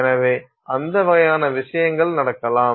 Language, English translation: Tamil, So, those kinds of things can happen